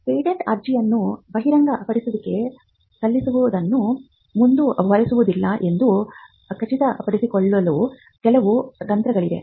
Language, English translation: Kannada, Now, there are some strategies that exist to ensure that the disclosure does not proceed the filing of the patent application